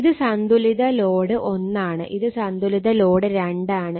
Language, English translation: Malayalam, So, question is and this is Balance Load 1, Balance Load 2